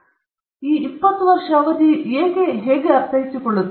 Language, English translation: Kannada, So, how do we understand this 20 year period